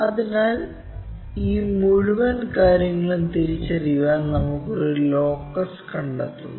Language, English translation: Malayalam, So, for that to identify that we we are locating this entire thing as a locus